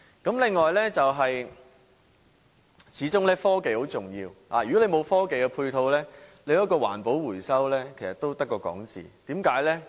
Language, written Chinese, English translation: Cantonese, 此外，科技始終很重要，如果沒有科技的配套，環保回收也只是空談。, Besides technology is very important . Without technological support recycling is just empty talk